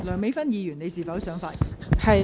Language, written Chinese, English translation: Cantonese, 梁美芬議員，你是否想發言？, Dr Priscilla LEUNG do you wish to speak?